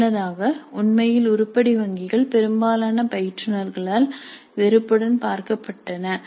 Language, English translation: Tamil, Earlier actually item banks were viewed with disfavor by most of the instructors